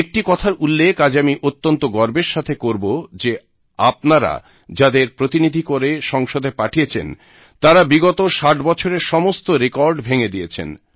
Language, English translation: Bengali, Today, I wish to proudly mention, that the parliamentarians that you have elected have broken all the records of the last 60 years